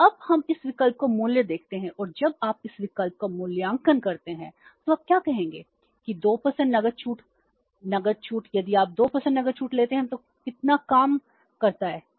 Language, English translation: Hindi, So, now let us evaluate this option and when you evaluate this option so what will you say that 2% cash discount, 2% cash discount